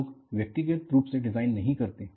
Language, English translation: Hindi, People do not do design individually